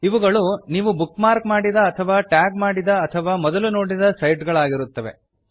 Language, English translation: Kannada, * These are also the sites that youve bookmarked, tagged, and visited